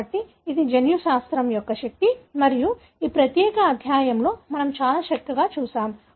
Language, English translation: Telugu, So that is the power of genetics and that is what we pretty much looked at in this particular chapter